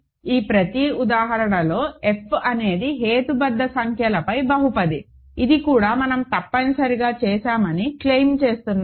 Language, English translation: Telugu, So, in each of these examples f is a polynomial over rational numbers, this also I claim we have essentially done, ok